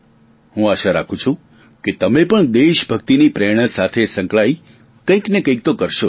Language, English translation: Gujarati, I hope that you too become inspired with the spirit of patriotism and do something good in that vein